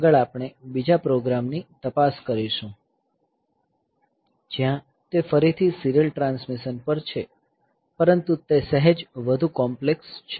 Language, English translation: Gujarati, So, next we look into another program where that is again on serial transmission but slightly more complex